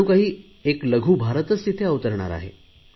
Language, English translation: Marathi, A miniIndia will be created there